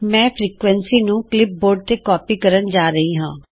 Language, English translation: Punjabi, I am going to copy the frequency on to the clipboard